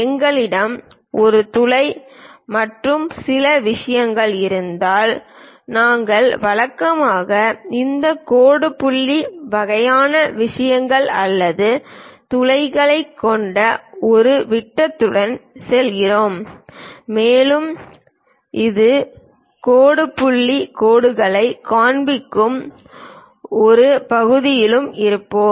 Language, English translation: Tamil, If we have hole and other things, we usually go with this dash dot kind of things or a circle with holes also we will be in a portion to show this dash dot lines